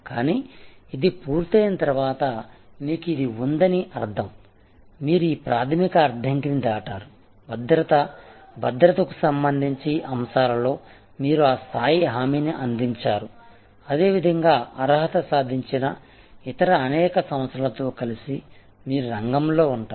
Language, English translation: Telugu, But, once this is done that means you have this, you have cross this entry barrier, you have provided that level of assurance with respect to safety, security, you will be in the arena with number of other players who have also similarly qualified